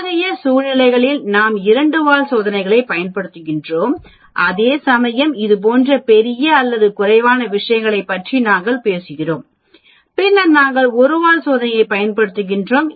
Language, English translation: Tamil, In such situations we use the two tailed test, whereas if we are talking about greater or less things like that then we use a single tail test